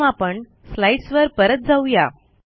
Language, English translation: Marathi, Let us first go back to the slides